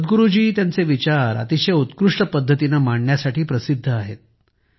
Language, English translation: Marathi, Generally, Sadhguru ji is known for presenting his views in such a remarkable way